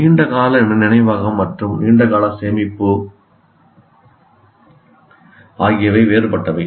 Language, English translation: Tamil, And here long term memory and long term storage are different